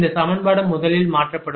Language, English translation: Tamil, this equation will be slightly changed